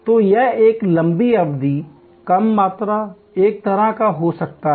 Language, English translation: Hindi, So, it can be a long duration, low volume, one of a kind